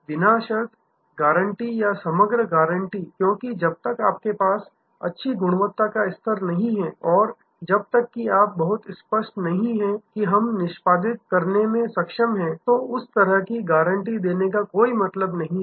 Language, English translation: Hindi, Unconditional guarantee or composite guarantee, because unless you have good quality level, unless you are very clear that we able to executed then there is no point in given that kind of guarantee